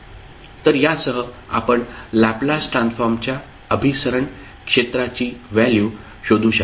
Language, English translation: Marathi, So with this you can find out the value of the region of convergence for Laplace transform